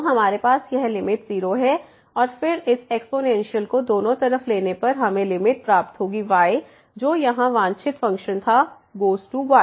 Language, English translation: Hindi, So, we have this limit is 0 and then taking this exponential both the sides we will get the limit which was the desired function here power 1 over it goes to 1